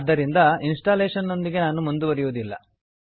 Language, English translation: Kannada, Hence I will not proceed with the installation